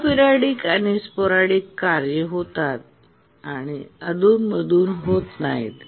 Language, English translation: Marathi, The aperidic and sporadic tasks, they don't occur periodically